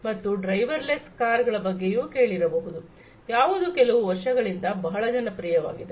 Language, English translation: Kannada, Then you must have heard about the driverless cars, which has also become very popular in the last few years, the driverless cars